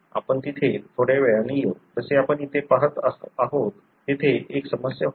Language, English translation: Marathi, We will come to that little later; like as you see here there was a trouble